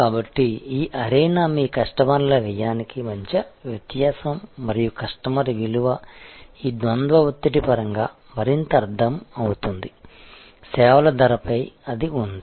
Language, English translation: Telugu, So, this arena is that is the difference between your cost customers cost and the value to the customer is the further understood in terms of this dual pressure; that is there on pricing of services